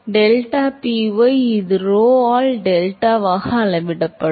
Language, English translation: Tamil, So, deltaPy, this will scale as rho into delta